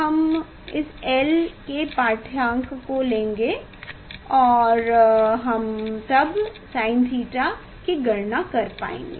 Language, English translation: Hindi, we will take reading of this l small l then we will be able to calculate sine theta